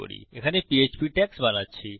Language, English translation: Bengali, I am creating my PHP tags here